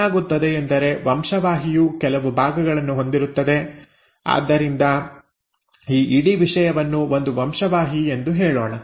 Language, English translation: Kannada, What happens is the gene will have certain segments; so let us say this whole thing is one gene